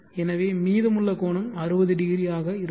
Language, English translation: Tamil, Now this angle is 600, how it is 600